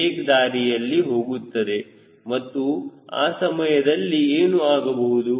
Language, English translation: Kannada, the wake will go in this direction and that time what will happen